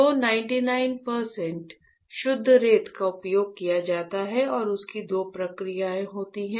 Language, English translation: Hindi, 9 percent pure sand is used right and there are two processes